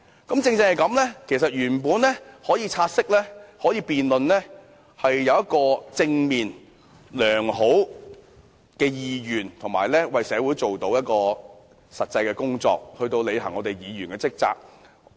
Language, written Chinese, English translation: Cantonese, 由此可見，就"察悉議案"進行辯論背後是有正面、良好意願的，可以為社會做些實際工作，履行議員的職責。, This shows that there is a positive attitude and good will behind the debate on the take - note motion . Members can do some practical work for the community and fulfil their duties as Members